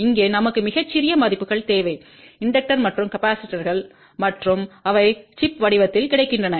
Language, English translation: Tamil, Here we need very small values of inductors and capacitors and they are available in the form of the chip